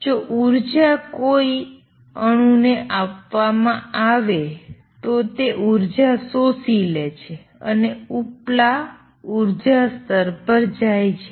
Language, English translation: Gujarati, If energy is given to an atom it absorbs energy and goes to the upper energy level